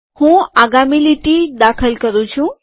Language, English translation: Gujarati, Let me enter the next line